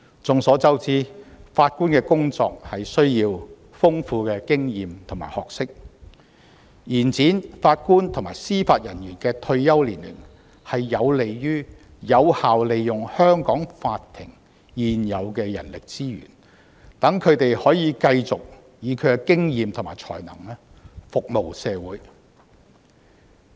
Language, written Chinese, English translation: Cantonese, 眾所周知，法官的工作需要豐富的經驗和學識，延展法官及司法人員的退休年齡有利於有效利用香港法庭現有的人力資源，讓他們可以繼續以他們的經驗和才能服務社會。, As we all know the profession of Judges requires substantial experience and expertise . Extending the retirement ages for Judges and Judicial Officers will be conducive to the effective deployment of existing manpower resources of Hong Kong courts thereby enabling them to continue to serve the community with their experience and talent